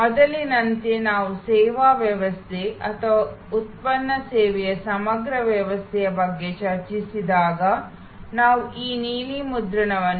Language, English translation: Kannada, As earlier when we discussed about the servuction system or product service integral system, we looked at this blue print